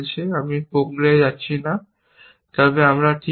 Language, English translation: Bengali, I am not going to the process, but we are just